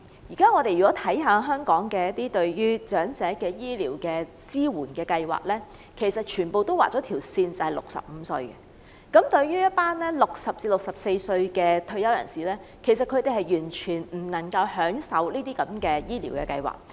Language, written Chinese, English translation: Cantonese, 現在香港支援長者的醫療計劃全部劃了線，以65歲或以上為限 ，60 歲至64歲的退休人士完全享用不到這些醫療計劃。, At present health care schemes for the elderly in Hong Kong have all set the age threshold at 65 or above . Retired people aged 60 to 64 are not eligible for these health care schemes